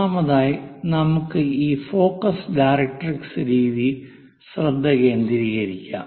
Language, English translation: Malayalam, First of all let us focus on this focus directrix method